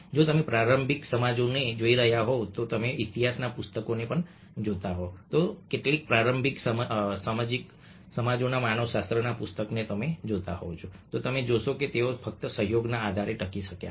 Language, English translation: Gujarati, if you are looking at the early societies, if you are looking at the book of history, book of anthropology, at some of the earliest societies, you find that they survived only on the basis of collaboration